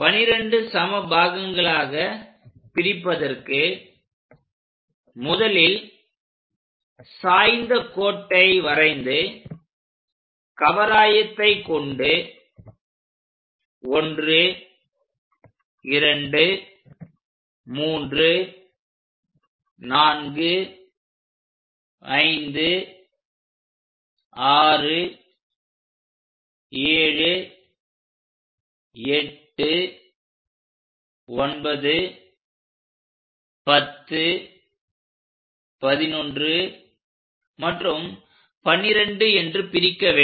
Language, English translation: Tamil, So, to construct 12 equal parts what we have to do is make a inclined line, use our compass to make 12 sections something 1, 2, 3, 4, 5, 6, 7, 8, 9, 10, 11 and 12